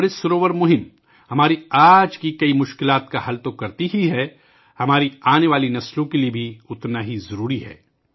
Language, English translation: Urdu, The Amrit Sarovar Abhiyan not only solves many of our problems today; it is equally necessary for our coming generations